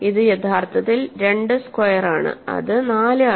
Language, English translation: Malayalam, This is actually 2 squared which is 4